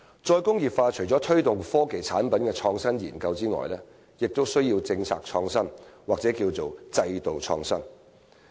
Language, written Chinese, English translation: Cantonese, "再工業化"除了推動科技產品的創新研究外，也需要政策創新或制度創新。, Apart from the promotion of innovative research on technology products re - industrialization also requires policy innovation or institutional innovation